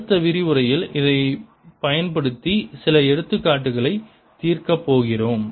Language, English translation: Tamil, in the next lecture we are going to solve some examples using this